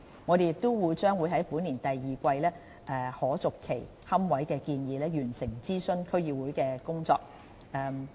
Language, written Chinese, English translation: Cantonese, 我們也將在本年第二季就可續期龕位的建議完成諮詢區議會的工作。, We will conclude in the second quarter this year the consultation work with District Councils on the proposal of extendable niches